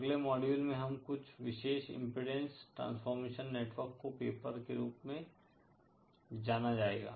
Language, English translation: Hindi, In the next module we shall be covering some special ‘impedance transformation network’ known as ‘Paper’